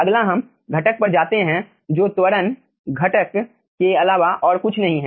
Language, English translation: Hindi, next let us go to the next component, which is nothing but the acceleration component